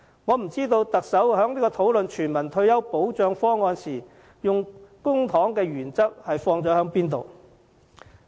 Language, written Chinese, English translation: Cantonese, 我不知道特首在討論全民退休保障方案時，按甚麼原則使用公帑。, I have no idea what principle regarding the use of public money the Chief Executive will abide by in the discussion on universal retirement protection